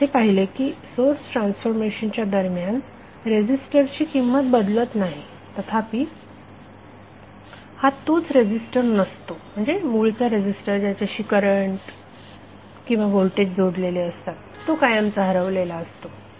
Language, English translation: Marathi, The resistor value does not change during the source transformation this is what we have seen however it is not the same resistor that means that, the current of voltage which are associated with the original resistor are irretrievably lost